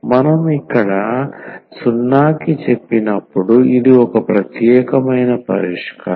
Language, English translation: Telugu, That is a particular solution when we said this to 0 here this is not important